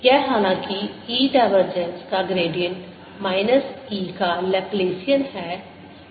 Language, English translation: Hindi, this, however, is gradient of divergence of e minus laplacian of e